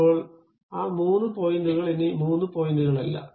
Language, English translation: Malayalam, Now, those three points are not anymore three points